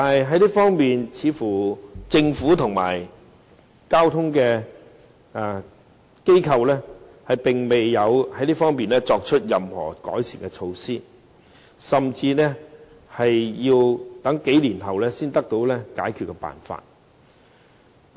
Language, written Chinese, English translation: Cantonese, 可是，政府和交通機構在這方面似乎並未有作出任何改善措施，甚至要在數年後才會有解決辦法。, However it seems that both the Government and transport authorities have not come up with any measure . Perhaps there will be solutions several years later